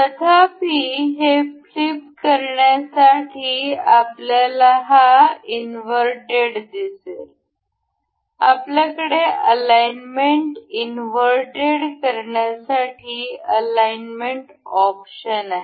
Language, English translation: Marathi, So however, we can see this inverted to flip this, we have this we have option to alignment to invert the alignment